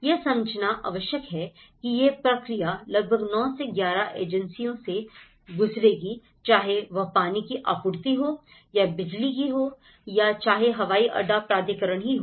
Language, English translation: Hindi, One has to understand that this process will go about 9 to 11 agencies to get a formal approval whether it is a water supply, whether it is electricity, whether it is airport authority